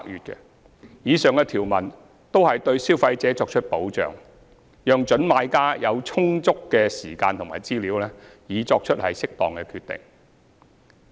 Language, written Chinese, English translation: Cantonese, 以上條文均對消費者作出保障，讓準買家有充足的時間及資料作出適當決定。, These provisions are set out for the protection of consumers by providing prospective purchasers adequate time and information to make a proper decision